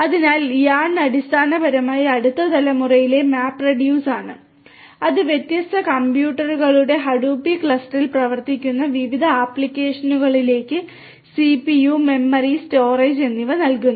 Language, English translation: Malayalam, So, YARN is basically the next generation MapReduce which assigns CPU, memory, storage to different applications running on the Hadoop cluster of different computers